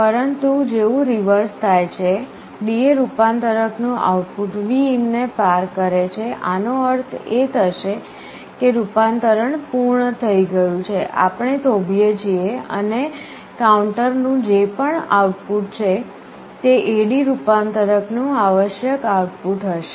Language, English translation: Gujarati, But as soon as the reverse happens, the output of the DA converter crosses Vin, this will mean that the conversion is complete, we stop, and whatever is the counter output will be the required output of the A/D converter